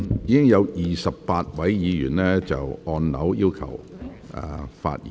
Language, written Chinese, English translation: Cantonese, 現已有28位議員按鈕要求發言。, Now 28 Members have pressed the Request to speak button